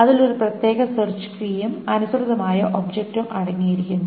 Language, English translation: Malayalam, It contains a particular search key and the corresponding object to it